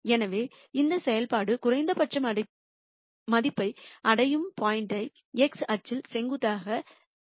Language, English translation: Tamil, So, the point at which this function attains minimum value can be found by dropping a perpendicular onto the x axis